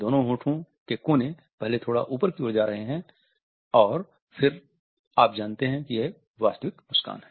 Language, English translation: Hindi, See the two lip corners going upwards first slightly and then even more you know that is a genuine smile